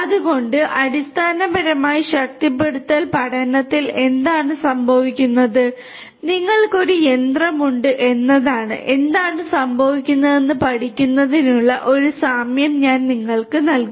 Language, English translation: Malayalam, So, basically what is happening in reinforcement learning is that I will give you an analogy in reinforcement learning what is happening is that you have a machine